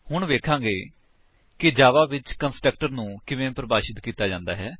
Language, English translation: Punjabi, Let us now see how a constructor is defined in java